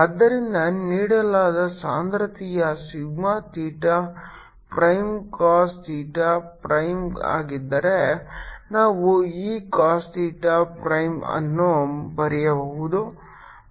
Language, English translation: Kannada, ok, so if the given density, sigma theta prime, is cos theta prime, we can write this: cos theta prime and what they spherical system